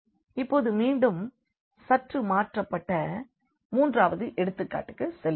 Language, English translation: Tamil, Now, we will go to the third example which is again slightly changed